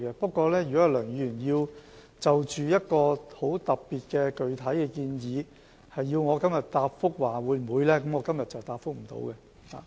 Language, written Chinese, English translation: Cantonese, 不過，如果梁議員要就一個很特別的具體建議，要求我答覆會否考慮實施，今天我是回答不了的。, That said if Dr LEUNG asks me to state whether we will consider a very specific proposal I am afraid I cannot give a reply today